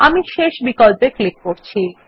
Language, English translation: Bengali, I will click on the last option